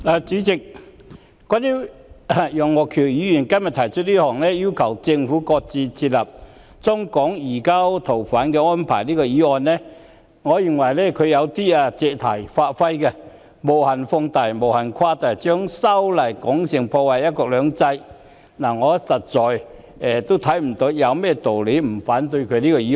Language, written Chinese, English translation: Cantonese, 代理主席，對於楊岳橋議員提出這項"要求政府擱置設立中港移交逃犯安排"的議案，我認為他有點借題發揮、無限放大及無限誇大，將修例說成會破壞"一國兩制"，我實在看不到有甚麼道理不反對這項議案。, Deputy President regarding the motion on Requesting the Government to shelve the formulation of arrangements for the surrender of fugitive offenders SFO between Mainland China and Hong Kong proposed by Mr Alvin YEUNG I am of the view that he has in a sense made an issue of the legislative amendments and blown them out of proportion infinitely by claiming that they will undermine one country two systems . I really cannot see any reason not to oppose the motion